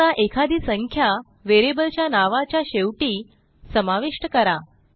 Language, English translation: Marathi, Now let us add the number at the end of the variable name